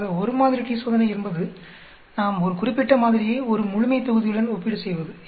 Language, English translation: Tamil, So one sample t Test that means we are comparing the mean of set a sample with a population mean